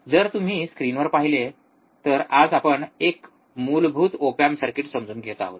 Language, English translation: Marathi, So, if you look at the screen, today we are understanding the basic op amp circuits